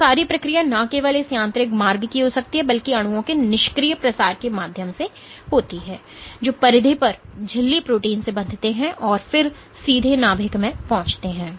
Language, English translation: Hindi, So, all this process could also have happened not just to this mechanical route, but through passive diffusion of molecules which bind to membrane proteins at the periphery and then come in and reach the nucleus to direct cell signaling pathways